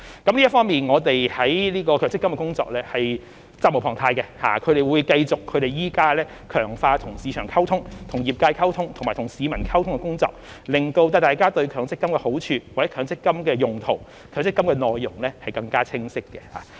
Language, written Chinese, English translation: Cantonese, 就此方面，我們就強積金的工作是責無旁貸的，會繼續強化與市場溝通、與業界溝通，以及與市民溝通的工作，令大家對強積金的好處、強積金的用途及強積金的內容更清晰。, In this connection we are duty - bound to carry out work on MPF and will continue to strengthen our communication with the market the industry and the public so that people can better understand the benefits uses and contents of MPF